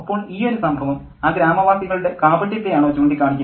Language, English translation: Malayalam, So, does this instance point out the hypocrisy of that village rock